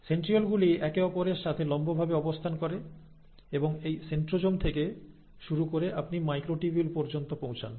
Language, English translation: Bengali, Now these centrioles are structures which are placed perpendicular to each other, and it is from this centrosome that you start having extension of microtubules